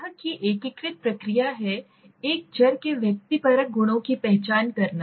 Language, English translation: Hindi, It is the integrative process of identifying the subjective properties of a variable